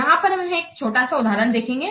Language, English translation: Hindi, We'll take a small example here